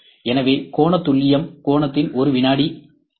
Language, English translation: Tamil, So, angular accuracy is by 1 second of the angle